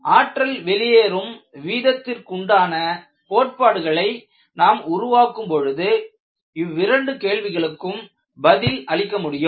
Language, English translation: Tamil, When we develop the concepts related to energy release rate, we would be able to appreciate how these questions can be answered